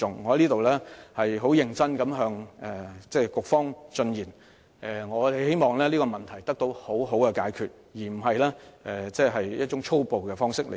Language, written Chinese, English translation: Cantonese, 我在此認真的向局方進言，希望這個問題得到妥善解決，而非以一種粗暴的方式對待。, Here I am seriously tendering this piece of advice to the Bureau in the hope that the Government can resolve this problem properly rather than dealing with it in a violent way